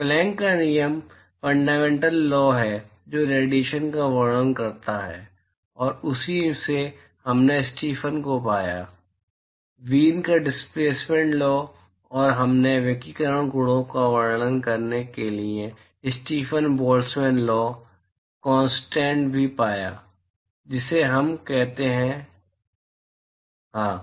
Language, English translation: Hindi, Planck’s law is the fundamental law which describes radiation and from that we found the Stefan; Wien’s displacement law and we also found Stefan – Boltzmann law / constant for describing radiation properties, that is what we call, yes